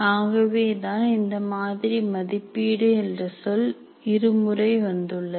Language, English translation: Tamil, So that is why evaluate word appears twice in this model